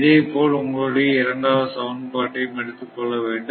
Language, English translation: Tamil, So, this is the second equation